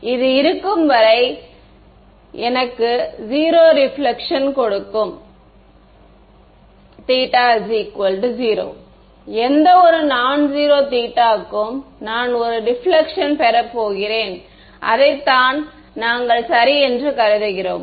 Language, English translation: Tamil, This is going to be I mean it will give me 0 reflection as long as theta is equal to 0, any nonzero theta I am going to get a reflection, that is what we have considered ok